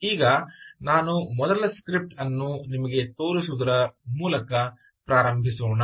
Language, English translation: Kannada, now let us first start by the, by showing you first script that i would like to show you